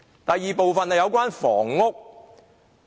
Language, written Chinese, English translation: Cantonese, 第二部分是有關房屋。, The second part of my speech is about housing